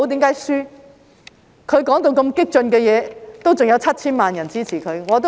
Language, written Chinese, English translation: Cantonese, 他說那麼激進的言論，仍有 7,000 萬人支持他。, He had made such radical remarks and still 70 million people supported him